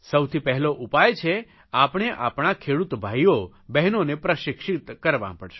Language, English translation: Gujarati, So the first solution is that the brothers and sisters engaged in agriculture need to be trained